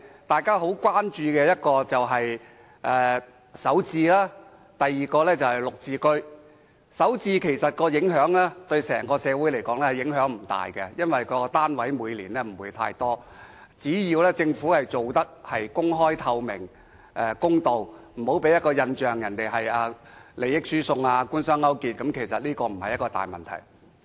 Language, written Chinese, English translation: Cantonese, 對整個社會而言，首置盤的影響其實不大，因為每年供應的單位不會太多，只要政府能公開、透明和公道地進行，不要讓人有利益輸送或官商勾結的印象，便不會構成大問題。, To the entire society the impact of Starter Homes is limited due to its small supply of units in a year . As long as the Government can implement the project in an open transparent and fair manner avoid creating the impression there is collusion or transfer of benefits between the Government and the business sector we do not see much problem with the scheme